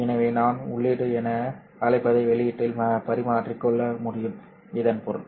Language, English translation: Tamil, So I can interchange what I call as input into output